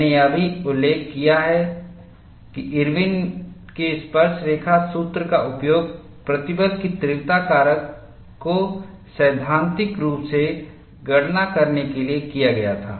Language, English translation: Hindi, I also mentioned, that Irwin's tangent formula was used, to theoretically calculate the stress intensity factor